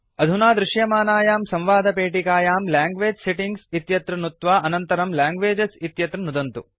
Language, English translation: Sanskrit, In the dialog box which appears, click on the Language Settings option and finally click on Languages